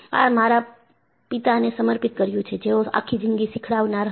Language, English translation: Gujarati, And, this is dedicated to my father, who was a learner all through his life